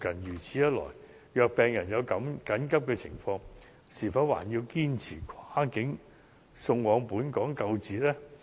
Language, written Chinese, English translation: Cantonese, 如此一來，如果病人有緊急情況，是否還要堅持跨境送往本港救治呢？, In view of this should we insist sending a patient under emergency medical condition across the boundary for treatment in a Hong Kong hospital?